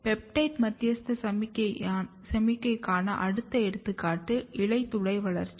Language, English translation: Tamil, Next example for peptide mediated signaling is stomata development